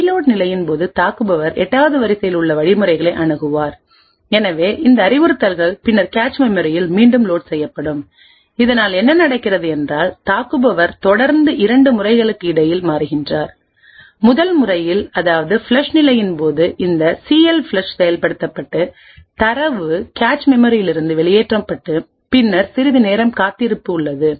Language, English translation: Tamil, During the reload phase, the attacker would access the instructions present in line 8 and therefore, these instructions would then be reloaded into the cache memory thus what is happening is that the attacker is constantly toggling between 2 modes; flush mode where this CLFLUSH gets executed and data is moved out of the cache, then there is a wait for some time